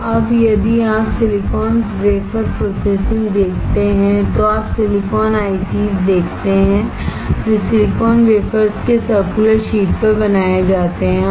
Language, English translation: Hindi, So, now, if you see silicon wafer processing, you see silicon ICs, they are created on circular sheets of silicon wafers